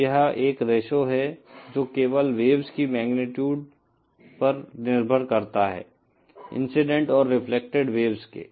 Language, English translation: Hindi, Now this is a ratio that depends only on the magnitude of the waves, of the incident and reflected waves